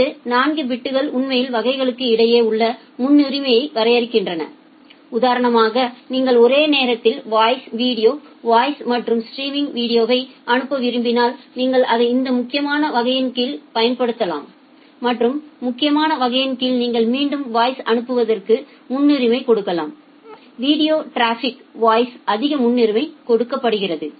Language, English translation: Tamil, Then the next 4 bits it actually defines the priority inside the classes for example, if you want to send voice video voice and streaming video simultaneously, you can use it under this critical class and under the critical class you can again relatively prioritize a voice give more priority to voice over the video traffic